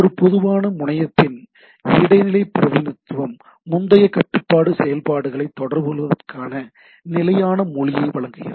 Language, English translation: Tamil, Intermediate representation of a generic terminal, provides a standard language for communication of terminal control functions right